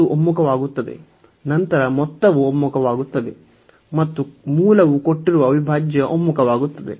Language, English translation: Kannada, So, it convergence and then both the sum converges and the original the given integral converges